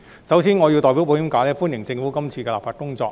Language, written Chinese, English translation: Cantonese, 首先，我要代表保險界歡迎政府今次的立法工作。, First I would like to welcome this legislative exercise of the Government on behalf of the insurance industry